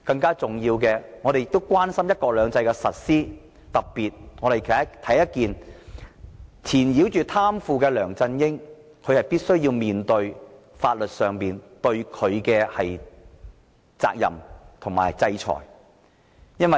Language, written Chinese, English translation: Cantonese, 更重要的是，我們亦關心"一國兩制"的實施，特別是要貪腐的梁振英負上法律責任及接受制裁。, More importantly we are concerned about the implementation of one country two systems . In particular we demand that LEUNG Chun - ying should be held responsible for his corruption offences and be sanctioned by law